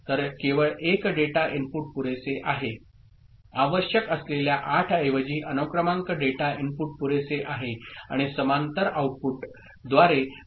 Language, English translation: Marathi, So, only 1 data input is sufficient, serial data input is sufficient instead of those 8 that were required and reading is through parallel outputs ok